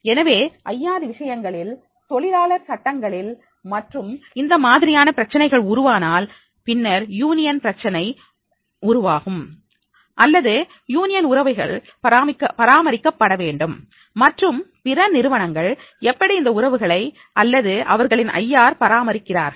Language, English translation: Tamil, So, especially in case of the IR in labour laws and then if this type of the problems if occur, then union problems occur or the union's relationship has to be maintained, then how other companies or industries are maintaining their relationship or maintaining their industry IR